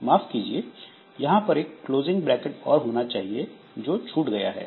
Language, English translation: Hindi, So I'm sorry, there should be a closing brace here that is missing